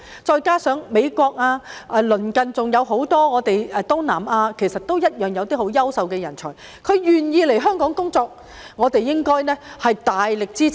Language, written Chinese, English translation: Cantonese, 再加上美國及鄰近還有很多東南亞國家其實同樣有優秀的人才願意來香港工作，我們應該大力支持。, In addition many outstanding talents from the US as well as those from many neighbouring Southeast Asian countries are actually willing to come to work in Hong Kong we thus should strongly support them